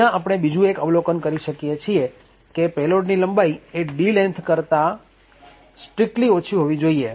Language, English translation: Gujarati, Another observation we see over here is that the payload length should be strictly less than the D length